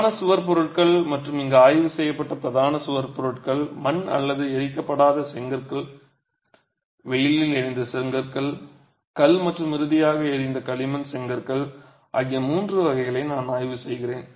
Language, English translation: Tamil, And the predominant wall materials examined here are mud or unburnt brick which is fire, which is not fired, sunburnt bricks, stone and finally burnt clay bricks